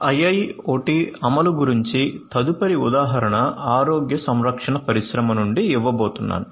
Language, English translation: Telugu, The next example that I am going to give you of IIoT implementation is from the healthcare industry